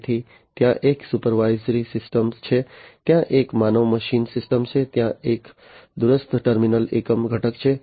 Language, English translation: Gujarati, So, there is a supervisory system, there is a human machine system, there is a remote terminal unit component